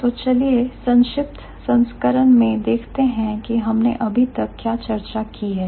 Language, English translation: Hindi, So, now let's look at the summarized version of what we have discussed so far